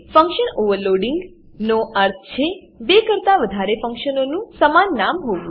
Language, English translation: Gujarati, Function Overloading means two or more functions can have same name